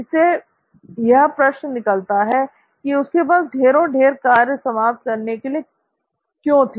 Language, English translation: Hindi, And, you know, again, that begs the question, why did he have tons and tons of assignments to finish